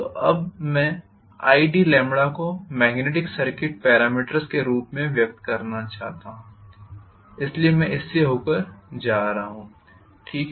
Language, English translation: Hindi, So I should be able to, now I want to express i d lambda in terms of magnetic circuit parameters, that is why I am going through this, okay